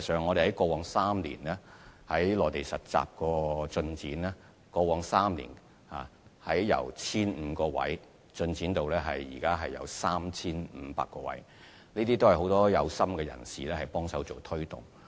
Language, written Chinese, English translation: Cantonese, 我們過往3年在內地實習方面取得進展，實習機會的數目由 1,500 個增至現時的 3,500 個，並且得到很多有心人士幫忙推動。, Over the past three years progress has been made in the provision of internships on the Mainland with the number of internship opportunities increased from 1 500 to 3 500 at present . Moreover many enthusiastic people have assisted in promoting the internship programme